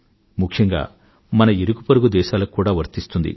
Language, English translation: Telugu, And very specially to our neighbouring countries